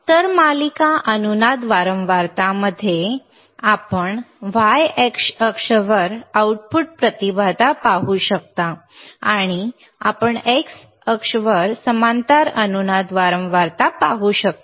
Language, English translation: Marathi, So, in series resonance frequency, , you can see output impedance hereon y axis and you can see parallel resonance frequency on x axis